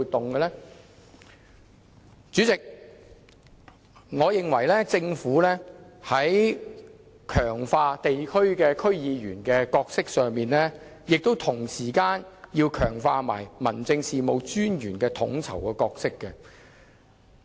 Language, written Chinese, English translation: Cantonese, 代理主席，我認為強化區議員角色之餘，同時也要強化民政事務專員的統籌角色。, Deputy President while we seek to strengthen the role of DC members we should also strengthen the coordination role of District Officers